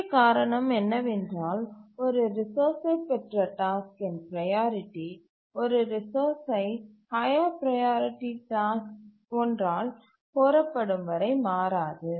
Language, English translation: Tamil, The main reason is that the priority of a task on acquiring a resource does not change until a higher priority task requests the resource